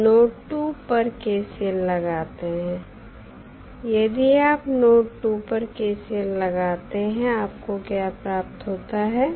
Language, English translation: Hindi, So, if you apply KCL at node 2 what you get